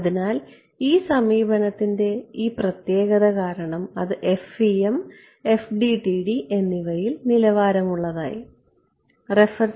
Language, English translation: Malayalam, So, because of this elegance of this approach it is become standard in both FEM and FDTD